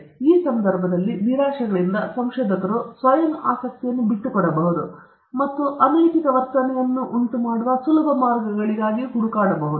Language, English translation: Kannada, So, in this context, out of frustrations, researchers might give up for self interest and look for easy ways out, which might result in unethical behavior